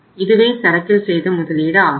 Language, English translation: Tamil, This was the investment in the inventory